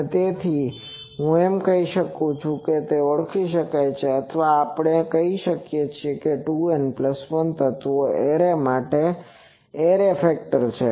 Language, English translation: Gujarati, And so, I can say that it can be identified or we can say that this is the array factor for an array with 2 N plus 1 elements